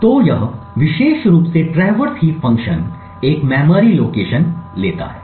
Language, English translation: Hindi, So, this particular traverse heat function takes a memory location